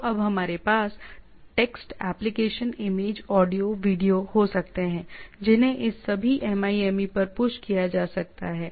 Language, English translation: Hindi, So we can now we have text, application, image, audio, video which can be pushed to this all MIME